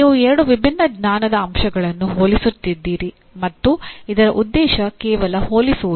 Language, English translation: Kannada, You are comparing two different knowledge elements and then the purpose is only comparing